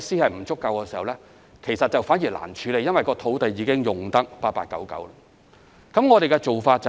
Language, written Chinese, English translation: Cantonese, 舊區設施不足，反而難以處理，因為土地已經用得八八九九。, The lack of facilities is however difficult to address in old districts as there are barely any available sites